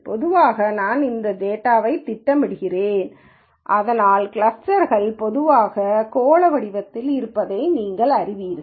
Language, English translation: Tamil, Typically I have been plotting to this data so that you know the clusters are in general spherical